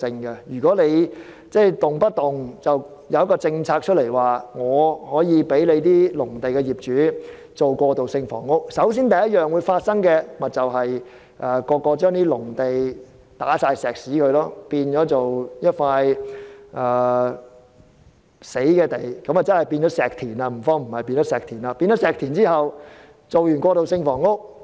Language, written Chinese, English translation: Cantonese, 如果政府隨便推出政策，准許農地業主興建過渡性房屋，第一個結果，便是農地業主會在農地鋪上混凝土，將農地變成"死地"或所謂的"石田"，之後興建過渡性房屋。, If the Government introduces policies casually to allow agricultural land owners to build transitional housing the first result would be that concrete is being poured on these agricultural sites so that these sites would become barren for building transitional housing later